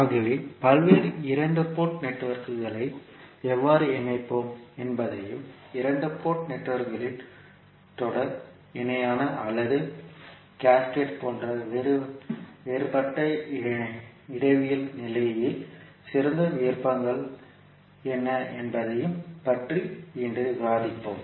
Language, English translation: Tamil, So today we will discuss about how we will interconnect various two port networks and what would be the best options in a different topological condition such as series, parallel or cascading of the two port networks